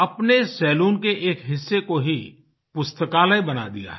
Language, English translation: Hindi, He has converted a small portion of his salon into a library